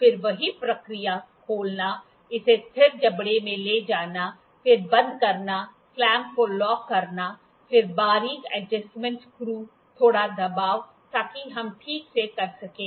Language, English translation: Hindi, Again the same procedure; opening, moving it to the fixed jaw, then closing, locking the clamp, locking, then fine adjustment screw, a little pressure so that we can do the properly